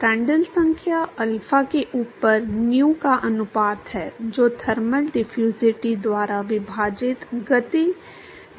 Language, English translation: Hindi, Prandtl number is the ratio of nu over alpha which is the momentum diffusivity divided by thermal diffusivity